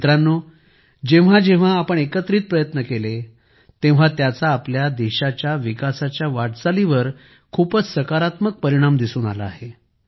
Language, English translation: Marathi, Friends, whenever we made efforts together, it has had a very positive impact on the development journey of our country